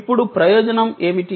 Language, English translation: Telugu, Now, what was the advantage